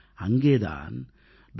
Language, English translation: Tamil, On the 19th of December, Dr